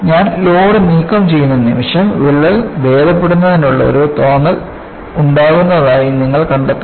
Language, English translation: Malayalam, The moment I remove the load, you find there is a semblance of healing of the crack